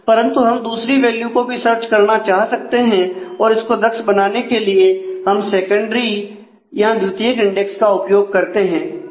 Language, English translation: Hindi, But we may want to search for other values also to make that efficient we create a secondary index